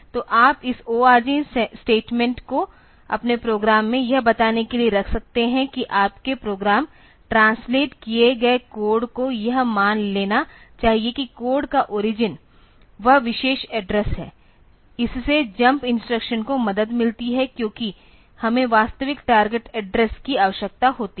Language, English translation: Hindi, So, you can put this org statement in the in your program to tell that the your program translated code should assumed that the origin of the code is that particular address; this helps in the jump instructions and all because we need to the actual target address